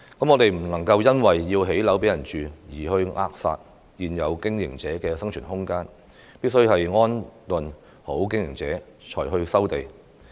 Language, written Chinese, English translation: Cantonese, 我們不能因為要興建房屋而扼殺現有經營者的生存空間，必須安頓好經營者才去收地。, We must not smother the survival of existing operators because there is a need to build housing . Operators must be properly relocated before land resumption